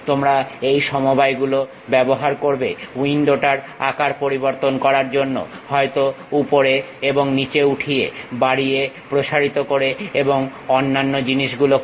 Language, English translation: Bengali, You use these combinations to really change the size of the window, may be moving up, and down increasing, enlarging and other thing